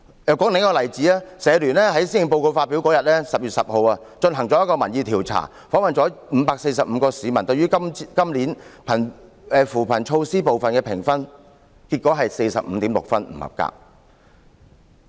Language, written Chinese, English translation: Cantonese, 再舉另一個例子，香港社會服務聯會在施政報告發表當日，即10月10日，進行了一項民意調查，訪問了545名市民，了解他們對於今年扶貧措施部分的評分，結果為 45.6 分，得分不合格。, To give another example the Hong Kong Council of Social Service conducted a public opinion survey on the day when the Policy Address was announced on 10 October and interviewed 545 people to find out their scores on this years poverty alleviation measures . The result was 45.6 points